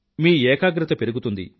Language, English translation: Telugu, Your concentration will increase